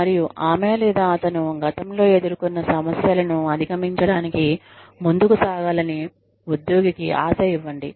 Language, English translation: Telugu, And, give the employee, hope of moving ahead of, overcoming the problems, that she or he may have faced in the past